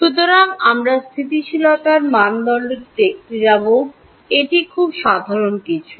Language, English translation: Bengali, So, the stability criteria that we will look at is something very simple